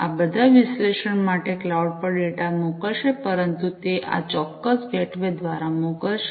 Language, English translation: Gujarati, These are all going to send the data to the cloud for analytics, but it is they are going to send through this particular gateway